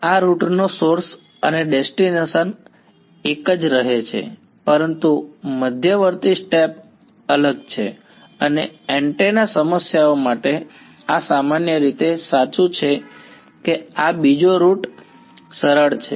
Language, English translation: Gujarati, The source and destination of these routes remains the same, but the intermediate steps are different and for antenna problems this is generally true that this second route is easier ok